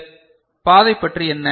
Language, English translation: Tamil, What about this path